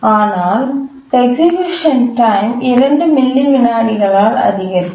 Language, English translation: Tamil, The effect will be to increase the execution time by 2 milliseconds